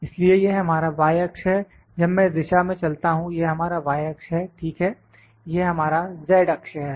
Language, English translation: Hindi, So, this is our y axis when I move in this direction this is our y axis, ok, this is our z axis, this is z axis